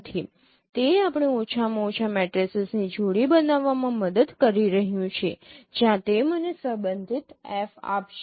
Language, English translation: Gujarati, It is it is helping us to to form at least a pair of matrices where which will give me the corresponding F